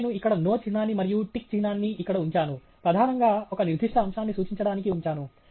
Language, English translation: Telugu, Now, I have put a NO symbol here and a tick symbol here, primarily to indicate one particular point